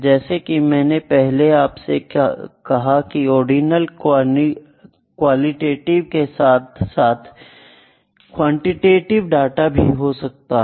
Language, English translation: Hindi, Like I said before in the qualitative data as well quantitative data can also be ordinal